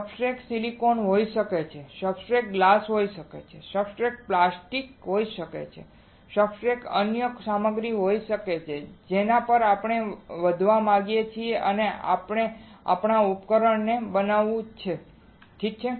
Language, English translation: Gujarati, The substrate can be silicon, substrate can be glass, substrate can be plastic, substrate can be any other material on which we want to grow or we want to fabricate our device alright